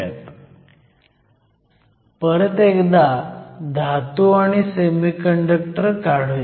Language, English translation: Marathi, So, once again let me draw the metal and the semiconductor